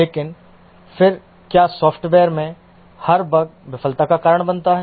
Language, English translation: Hindi, But then do every bug in the software cause a failure